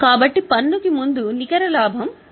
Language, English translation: Telugu, We will get net profit before tax, which is 28,600